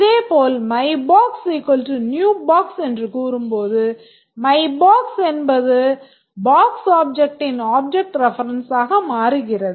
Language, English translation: Tamil, Similarly, once we say that my box is equal to new box, my box becomes the object reference for the box object